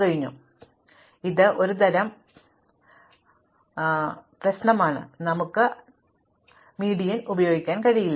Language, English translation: Malayalam, So, it is a kind of the chicken and egg problem, we cannot use the median to sort